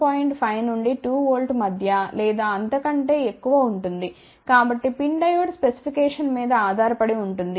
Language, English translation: Telugu, 5 to 2 volt or even slightly more so, depending upon the PIN Diode specification